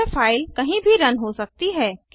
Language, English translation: Hindi, This file can run anywhere